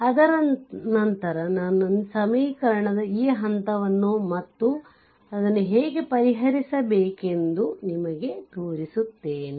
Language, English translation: Kannada, So, after that I just show you that step of equation and how to solve it, right